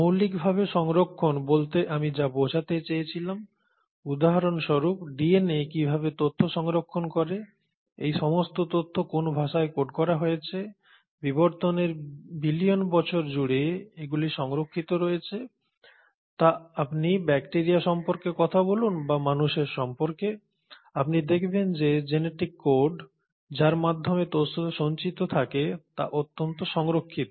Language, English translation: Bengali, When I meant fundamentally conserved, for example how the DNA will store information, in what language all this information is coded, has remained conserved across these billion years of evolution, whether you talk about bacteria or you talk about human beings, you find that that genetic code by which the information is stored is highly conserved